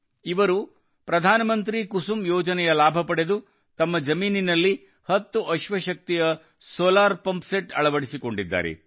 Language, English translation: Kannada, He took the benefit of 'PM Kusum Yojana' and got a solar pumpset of ten horsepower installed in his farm